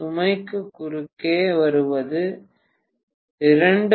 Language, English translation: Tamil, What I am getting across the load is 2